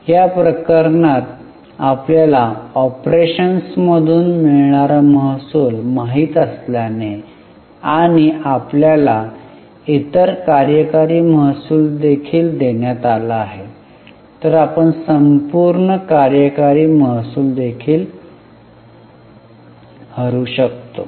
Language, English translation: Marathi, In this case, since we know the revenue from operations and we have also been given other operating revenue, we can also take total operating revenue in the denominator